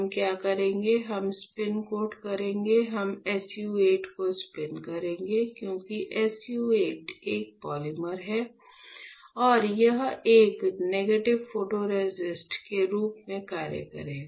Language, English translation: Hindi, So, what we will do, we will spin coat; we will spin coat SU 8 because SU 8 is a polymer right and it will act as a negative photoresist